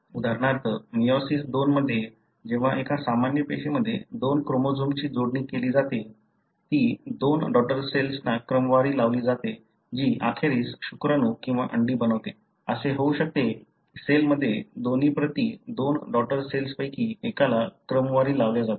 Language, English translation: Marathi, For example, in meiosis II, when in a normal cell the two chromosomes are sorted to the pair, that is sorted to the two daughter cells which eventually form either the sperm or the egg, , it could so happen that in a cell, both copies are sorted to one of the two daughter cells